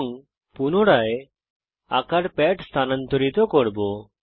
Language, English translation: Bengali, And again move the drawing pad